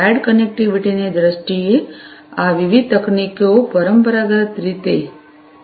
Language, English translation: Gujarati, So, in terms of wired connectivity; these different technologies are there traditionally